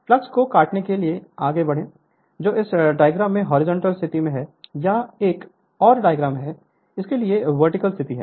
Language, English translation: Hindi, So, move to cut the flux now this is your horizontal position in this diagram right this is another diagram for this is the position the vertical position